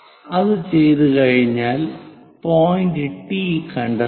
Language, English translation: Malayalam, So, find this point T